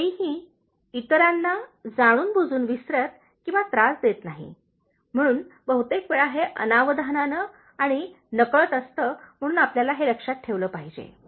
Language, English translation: Marathi, Nobody does forget or annoy others intentionally, so most of the times it is inadvertent and unintentional, so you have to keep that in mind